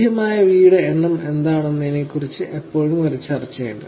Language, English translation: Malayalam, There is always a discussion about what is the number of V’s that are available